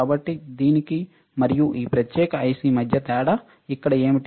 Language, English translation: Telugu, So, what is the difference between this and this particular IC here